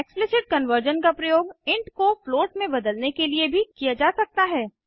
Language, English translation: Hindi, Explicit conversion can also be used to convert data from int to float